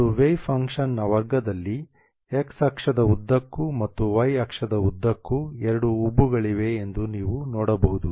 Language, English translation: Kannada, And the square of the way function you can see that there are two hums along the x axis and along the y axis